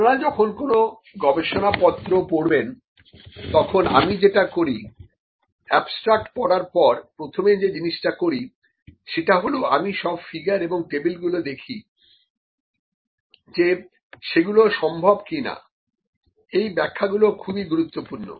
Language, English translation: Bengali, The first thing when you read a research paper, I think what I do after reading the abstract, the first thing I do is, I look at the figures if it if they are possible figures and tables, these illustrations are very important